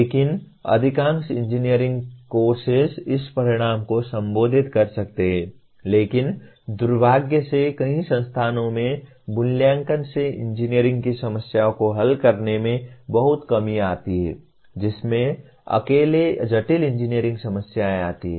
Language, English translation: Hindi, But majority of the engineering courses may address this outcome but unfortunately assessment in many institutions fall far short of solving engineering problems leave alone complex engineering problems